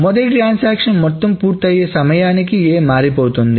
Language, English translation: Telugu, So by the time the first transaction finishes the aggregate, A has changed